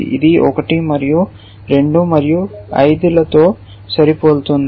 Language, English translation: Telugu, This one is matching 1 and 2 and 5